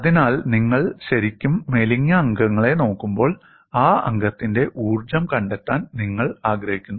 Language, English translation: Malayalam, So, when you are really looking at slender members, you want to find out energy on that member